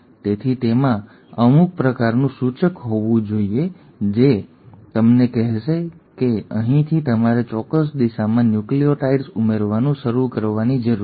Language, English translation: Gujarati, So it has to have some sort of an indicator which will tell us that from here you need to start adding nucleotides in a certain direction